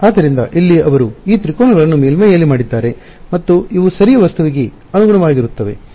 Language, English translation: Kannada, So, here they have made these triangles all over the surface and these are conformal to the object ok